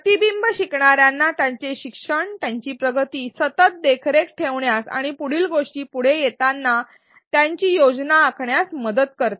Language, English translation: Marathi, Reflection also helps learners continually monitor their learning their progress and plan their next actions as it comes up